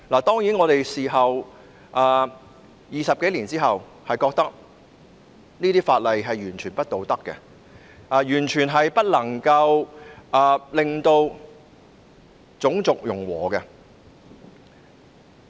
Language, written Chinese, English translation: Cantonese, 當然 ，20 多年後，我們認為這些法例是完全不道德的，亦完全無法達致種族融和。, Certainly after 20 - odd years we now consider such laws totally unethical and not conducive to racial integration in any way